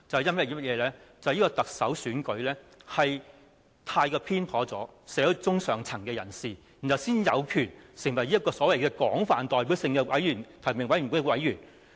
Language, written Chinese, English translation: Cantonese, 那便是特首選舉過於傾斜社會中上層的人士，才讓這些人有權成為所謂具有廣泛代表性的提名委員會的委員。, That is the Chief Executive election has tilted too much to the middle and upper class people in society . In so doing these people are made members of the nominating committee which is a so - called broadly representative one